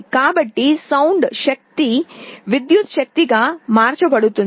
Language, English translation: Telugu, So, sound energy gets converted into electrical energy